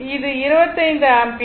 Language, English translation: Tamil, So, 5 ampere